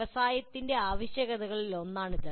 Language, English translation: Malayalam, This is one of the requirements of the industry